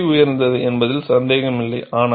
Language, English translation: Tamil, It is expensive, no doubt